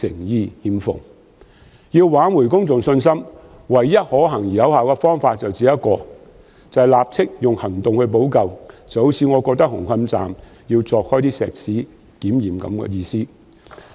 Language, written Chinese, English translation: Cantonese, 要挽回公眾信心，唯一可行而有效的方法是立即以行動補救，正如我認為要將紅磡站的混凝土牆鑿開進行檢驗一樣。, The only feasible and effective way of restoring public confidence is to take immediate remedial actions just as I think that it is necessary to break up the concrete walls at Hung Hom Station for inspection